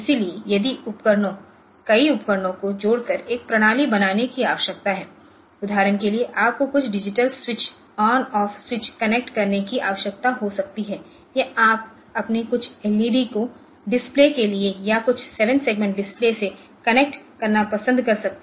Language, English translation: Hindi, So, if we want to connect the devices a number of devices which are required for making a system for example, you may need to connect some digital switches on off switches or you may like to connect some your some LEDs for display or some 7 segment displays are there then we want to connect some keyboards for some basic input output